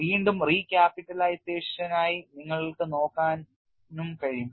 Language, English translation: Malayalam, And you can also look at for again recapitalization